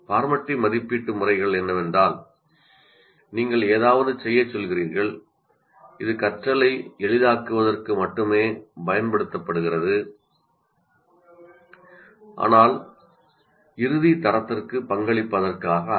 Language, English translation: Tamil, Formative assessment methods means you are asking them to do something, but they are only used for facilitating learning but not for contributing to the final grade or any such activity